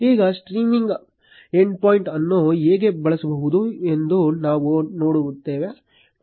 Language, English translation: Kannada, Now, we will see how to use the streaming endpoint